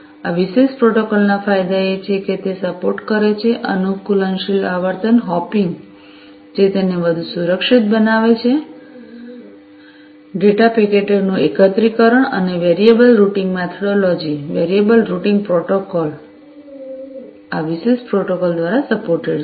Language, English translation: Gujarati, The advantages of this particular protocol is that it supports, adaptive frequency hopping, which makes it more secured, aggregation of data packets, and variable routing methodologies variable routing protocols, are supported by this particular protocol